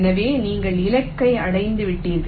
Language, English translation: Tamil, so you have reached the target